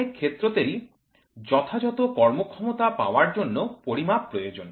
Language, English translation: Bengali, Many operations require measurements for proper performance